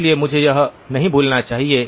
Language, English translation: Hindi, So I should not forget that